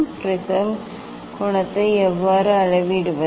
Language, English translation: Tamil, how to measure the angle of prism